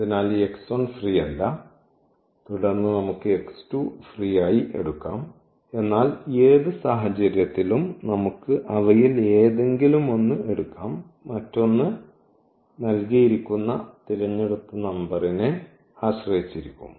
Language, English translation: Malayalam, So, this x 1 is not free and then we can take as x 2 free, but any case in any case we can take any one of them and the other one will depend on the given chosen number